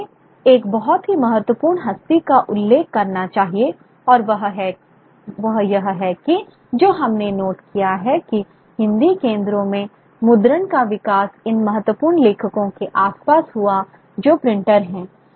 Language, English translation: Hindi, And what we have noted is that the growth, the development of printing in Hindi centers around these important writers who are printers, these important individuals